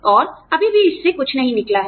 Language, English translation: Hindi, And, still nothing has come out of it